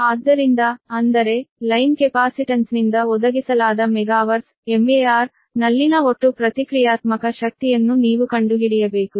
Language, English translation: Kannada, so that means you have to find out the total reactive power in megavar supplied by the line capacitance